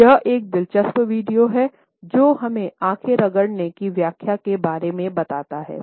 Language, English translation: Hindi, This is an interesting video, which tells us about the possible interpretations of the eye rub